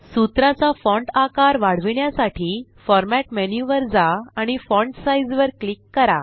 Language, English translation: Marathi, To increase the font size of the formulae, go to Format menu and click on Font Size